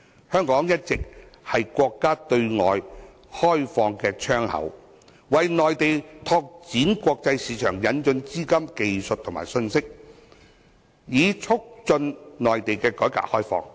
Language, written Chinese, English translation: Cantonese, 香港一直是國家對外開放的窗口，為內地拓展國際市場，引進資金、技術和信息，以促進內地的改革開放。, Hong Kong has always been the window to facilitate the countrys reform and opening up in respect of developing the international market as well as bringing in capital technology and information